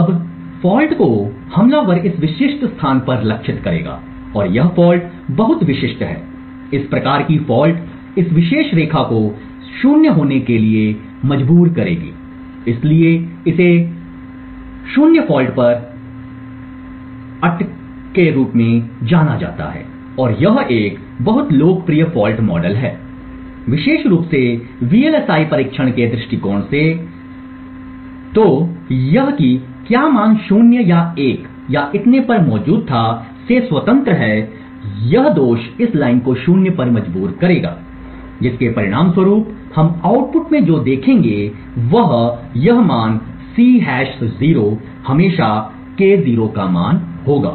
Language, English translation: Hindi, Now the fault the attacker would inject is targeted to this specific location and the fault is very specific, this type of fault would force this particular line to be 0, so this is known as Stuck at 0 fault and this is a very popular fault model especially from the VLSI testing perspective, so independent of what value was present whether it was 0 or 1 or so on, this fault would force this line to 0, as a result what we would see in the output is this value C hash 0 would always have the value of K0